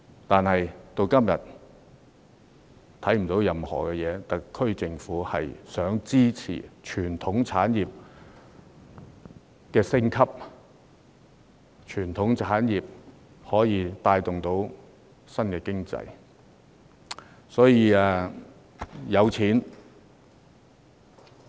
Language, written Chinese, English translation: Cantonese, 但是，至今也看不到特區政府提出任何政策，支持傳統產業升級，以帶動經濟發展。, However we have so far seen no policies introduced by the SAR Government to support the upgrading of traditional industries to promote economic development